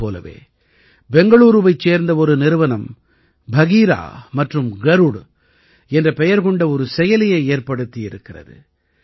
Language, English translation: Tamil, Similarly, a Bengaluru company has prepared an app named 'Bagheera' and 'Garuda'